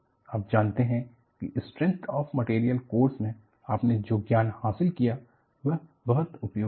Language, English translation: Hindi, You know knowledge, what you have gained in a course, in strength of materials is very useful